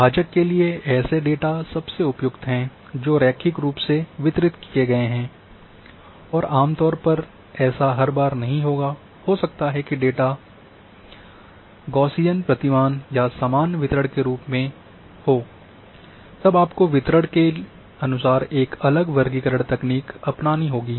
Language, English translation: Hindi, Quantiles are also best suited for data that is linearly distributed and generally may not be the data may be linearly distributed may be in Gaussian fashion or a normal distribution then accordingly a different classification technique has to be adopted